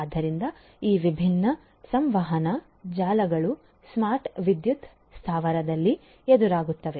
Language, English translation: Kannada, So, these are these different communication networks that one would encounter in a smart power plant